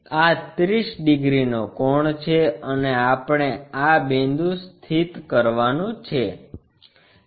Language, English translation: Gujarati, This is the 30 degrees angle and we have to locate this point